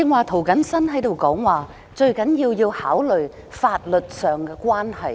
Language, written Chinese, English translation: Cantonese, 涂謹申議員剛才說，最重要是考慮法律上的關係。, Just now Mr James TO says that the most important thing is to consider the relationship under the law